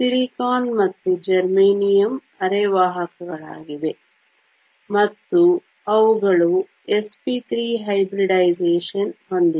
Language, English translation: Kannada, Silicon and germanium are semiconductors, and they have s p 3 hybridization